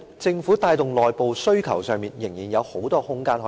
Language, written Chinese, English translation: Cantonese, 政府在帶動內部需求方面，明顯地仍有很大的改善空間。, There is obviously a lot of room for improvement in driving internal demand by the Government